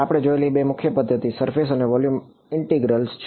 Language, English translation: Gujarati, Two main methods that we have seen are surface and volume integrals